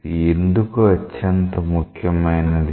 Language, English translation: Telugu, Why this is very important